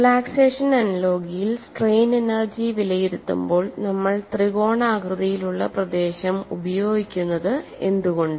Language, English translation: Malayalam, In relaxation analogy why do we use triangular region while evaluating strain energy